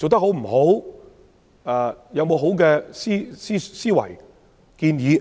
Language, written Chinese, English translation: Cantonese, 有沒有好的思維和建議？, Has she proposed any new ideas and suggestions?